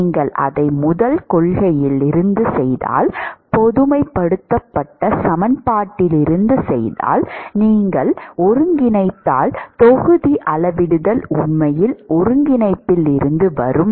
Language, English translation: Tamil, If you do it from the first principle, if you do it from the generalized equation, if you integrate etcetera, the volume scaling will actually come from the integration